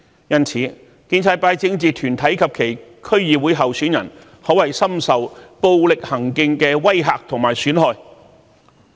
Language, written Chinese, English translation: Cantonese, 因此，建制派政治團體及其區議會候選人，可謂深受暴力行徑的威嚇和損害。, It can thus be said that political groups of the pro - establishment camp and their DC Election candidates are the victims of serious violent intimidation